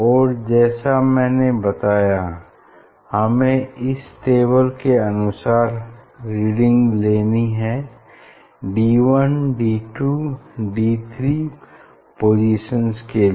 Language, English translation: Hindi, just take reading as I mentioned here for on the table from the table for D 1, D 2, D 3 position